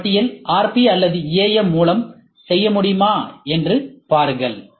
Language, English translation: Tamil, And see whether this list can be made by RP or AM ok